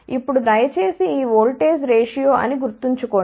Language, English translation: Telugu, Now, here please remember that this is a voltage ratio